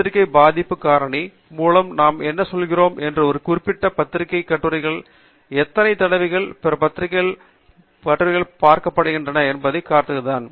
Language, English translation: Tamil, What we mean by journal impact factor is that to see how many times the articles in a particular journal are being referred by other journals and other articles